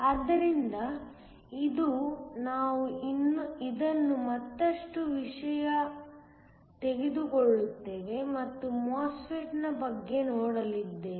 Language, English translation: Kannada, So, today we will take up this further and look at MOSFET